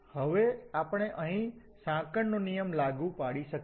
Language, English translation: Gujarati, Now we can apply the chain rule here